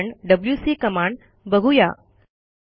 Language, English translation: Marathi, The next command we will see is the wc command